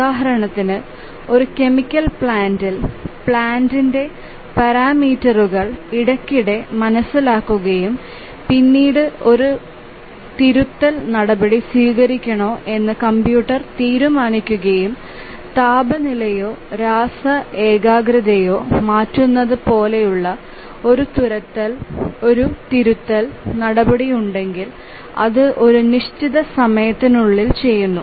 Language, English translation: Malayalam, For example, let's say a chemical plant, the parameters of the plant are sensed periodically and then the computer decides whether to take a corrective action and if there is a corrective action like changing the temperature or chemical concentration and so on it does within certain time